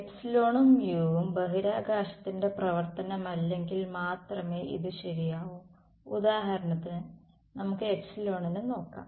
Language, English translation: Malayalam, Is this true only if epsilon and mu are functions of are not function of space let us look at me epsilon for example